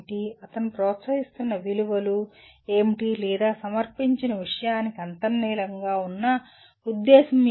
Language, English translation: Telugu, What are the values he is promoting or what is the intent underlying the presented material